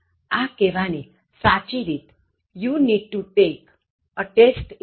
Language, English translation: Gujarati, Correct way to say this is: You need to take a test in English